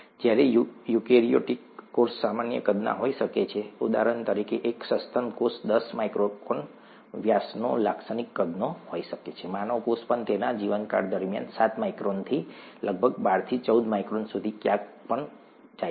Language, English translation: Gujarati, Whereas a eukaryotic cell could be of a typical size, a mammalian cell for example could be of ten micron diameter, typical size, even a human cell goes anywhere from seven microns to about twelve to fourteen microns during its lifetime